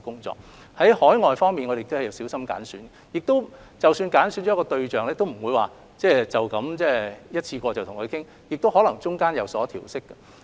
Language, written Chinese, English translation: Cantonese, 至於海外，我們也會小心揀選，即使揀選了一個地方，也不會只經一次過討論而有所決定，其間可能會有所調適。, As to overseas places we will be very prudent in selecting our partner . Even when we have identified a place for negotiations we will not finalize everything through one discussion session only . Adjustments will possibly be made in the course of discussion